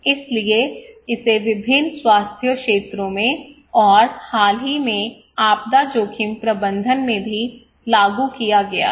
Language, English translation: Hindi, So it has been applied in various health sectors and also in recently in disaster risk management